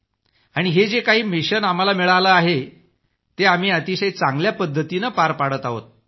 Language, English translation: Marathi, And these missions that have been assigned to us we are fulfilling them very well